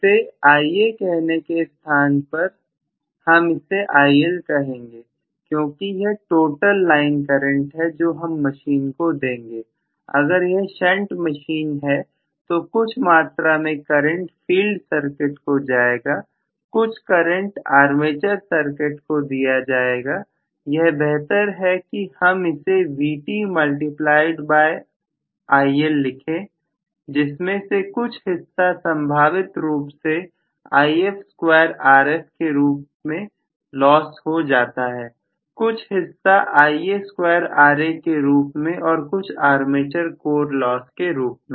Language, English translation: Hindi, Rather than saying Ia, maybe I might like to say it is IL because it is the total line current that I am passing into the machine, may be if it is a shunt machine I am going to have some amount of current being carried by the field circuit, some of the current being carried by the armature circuit, so it is better to write this as Vt multiplied by I=, out of which again I will have some portion actually lost probably as If square Rf some portion probably last as Ia square Ra and also armature core losses